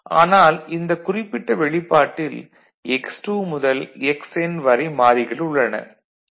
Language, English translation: Tamil, So, in this particular function, there are x2 to xN variable